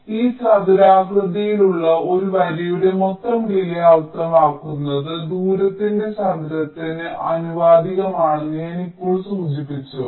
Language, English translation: Malayalam, now i mentioned that the total delay along a line this quadratic in length, which means it is proportional to the square of the distance